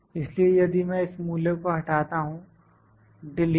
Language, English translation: Hindi, So, if I eliminate this value, delete